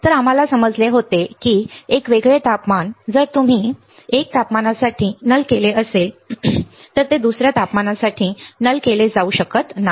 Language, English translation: Marathi, So, we had understand that a different temperature if you have nulled for 1 temperature it may not be nulled for another temperature ok